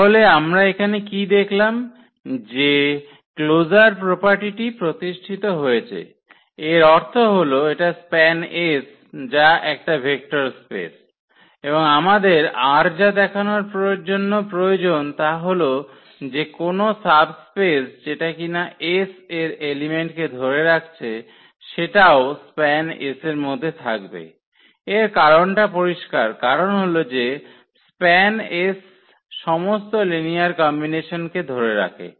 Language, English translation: Bengali, So, what we have seen here the closure properties are satisfied; that means, this is span S is a vector subspace so, span S is a vector subspace and what else we need to show that that any subspace containing the element of S is also that set will also contain a span S and the reason is clear because this is span S contains all the linear combinations